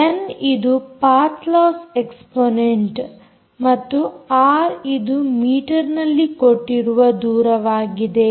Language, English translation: Kannada, n is the path loss exponent and r is the distance in metres